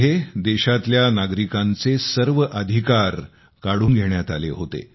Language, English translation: Marathi, In that, all the rights were taken away from the citizens of the country